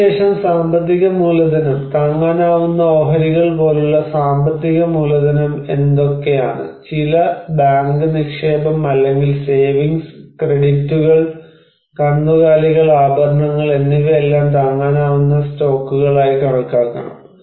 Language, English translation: Malayalam, And then we have a financial capital, so what are the financial capital like affordable stocks: like some bank deposit or savings, credits, livestocks, jewelry, all should be considered as affordable stocks